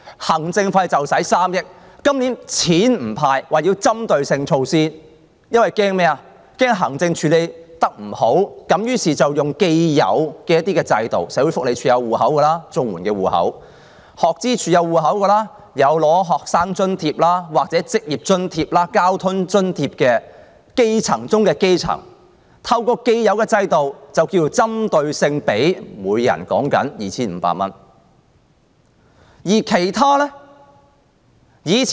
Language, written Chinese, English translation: Cantonese, 今年不"派錢"，說要採取針對措施，因為害怕行政處理不好，於是用既有的制度，社會福利署有綜合社會保障援助戶口、學生資助處有戶口，過往已有領取學生津貼、職業津貼或交通津貼的基層中的基層，透過既有制度，給他們每人 2,500 元，而其他的又如何？, The Government said that it would not hand out cash this year but it would take specialized measures . Fearing that it cannot handle the administration work well it will follow the established systems to provide 2,500 to each of the grass - roots recipients of the Comprehensive Social Security Assistance Scheme or other assistances such as the assistance schemes of the Student Finance Office working subsidies or transport subsidies to those who already have accounts registered in the Social Welfare Department under the above schemes